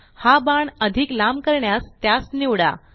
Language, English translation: Marathi, To make this arrow longer, first select it